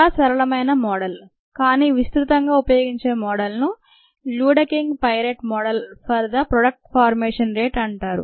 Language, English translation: Telugu, a very simple model, a widely used model is called the luedeking piret model for the product formation rate